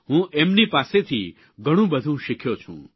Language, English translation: Gujarati, I have learnt a lot from them